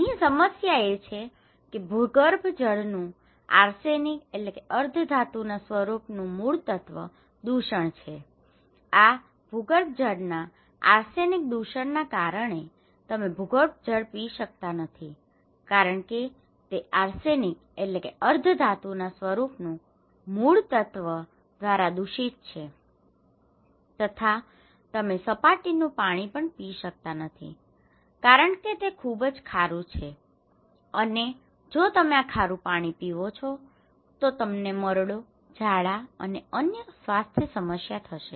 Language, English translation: Gujarati, What is the problem here is that arsenic contamination of groundwater so, arsenic contamination of groundwater you cannot drink the groundwater because it is contaminated by arsenic and you cannot drink surface water because it is saline affected by salinity, is the kind of salty if you get, you will get dysentery, diarrhoea and other health problem